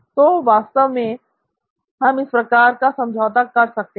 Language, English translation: Hindi, So we could actually have an arrangement